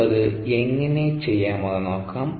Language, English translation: Malayalam, let us see how we can do that